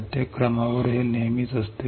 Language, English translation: Marathi, This is always there after every step